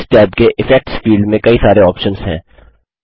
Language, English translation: Hindi, In the Effects field under this tab there are various options